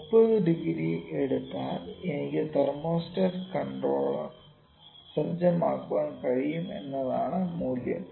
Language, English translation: Malayalam, The value is, I can set thermostat controller if I take 30 degrees